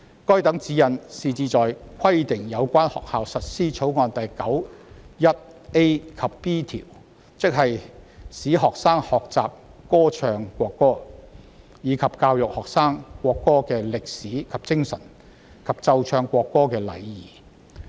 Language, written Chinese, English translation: Cantonese, 該等指示旨在規定有關學校實施《條例草案》第 91a 及 b 條，即"使學生學習歌唱國歌；及以教育學生國歌的歷史及精神；及奏唱國歌的禮儀"。, The directions are to require schools concerned to implement clause 91a and b ie . to enable the students to learn to sing the national anthem; and to educate the students on the history and spirit of the national anthem; and on the etiquette for playing and singing the national anthem